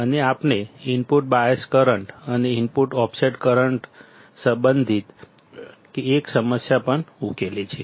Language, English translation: Gujarati, And we have also solved one problem related to the input bias current and input offset current